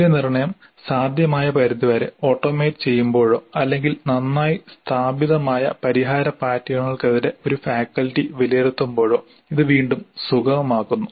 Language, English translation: Malayalam, This again is facilitated when the evaluation can be automated to the extent possible or when the evaluation is by a faculty against well established solution patterns